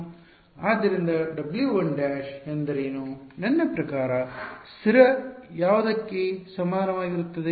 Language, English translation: Kannada, So, what is W 1 prime I mean constant equal to what